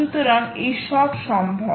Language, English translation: Bengali, so all of this is possible